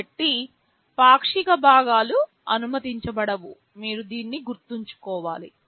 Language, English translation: Telugu, So, no fractional parts are allowed you should remember this